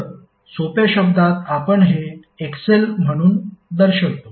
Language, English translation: Marathi, So in simple term we represent it like XL